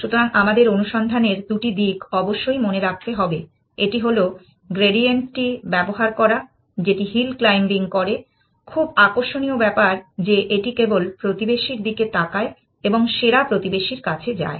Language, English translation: Bengali, So, you must keep in mind this two aspects of search, one is exploitation of the gradient, which is, what hill climbing does very interesting, that it just looks at the neighborhood and goes to the best neighbor